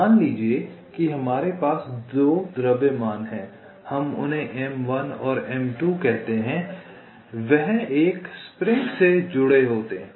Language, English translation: Hindi, so let see, suppose we have two masses, lets call them m one and m two, that are connected by a spring